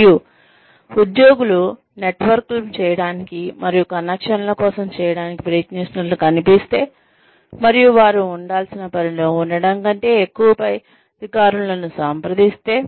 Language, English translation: Telugu, And, if employees are seen trying to make networks, and make connections, and contact the higher ups more, than putting in the work, they are supposed to be putting in